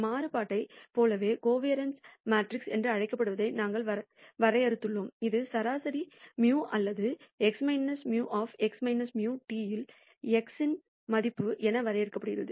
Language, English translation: Tamil, And similar to the variance we de ned what is called the covariance matrix which is de ned as expectation of x about the mean mu or x minus mu into x minus mu transpose